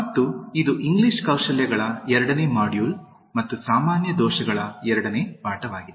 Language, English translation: Kannada, And this is the second module on English Skills and the second lesson on Common Errors